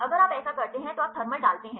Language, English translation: Hindi, So, you put thermal now if you do like this